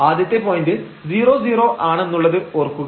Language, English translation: Malayalam, So, the first point remember it was 0 0